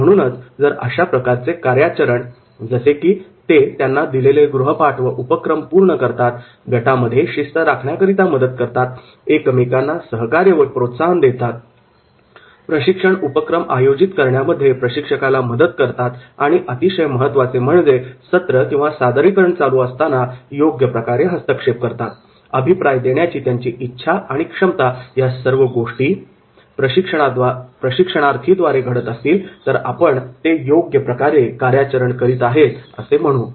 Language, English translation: Marathi, So if this type of the functional behaviour is there that is completing the assignment and task, helping in maintaining the discipline in the group, giving support and encouragement, assisting the trainers in organising training activities very important, interventions during sessions and presentation and willingness and ability to provide the feedback, if this behaviour is there then we will say it is the functional behaviour of the trainees